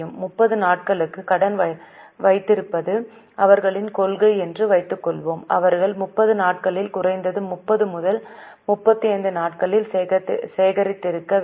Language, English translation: Tamil, Suppose their policy is to have credit for 30 days, they must have collected in 30 days, at least in 32, 35 days